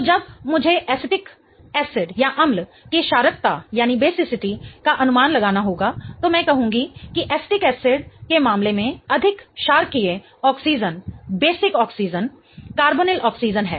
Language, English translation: Hindi, So, when I have to predict the basicity of acetic acid, I would say that the more basic oxygen in the case of acetic acid is the carbonyl oxygen